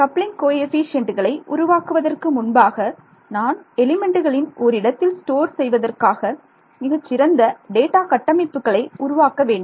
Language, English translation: Tamil, Before I make the coupling coefficients I need to create efficient data structures to store of all these elements rights so, this is creating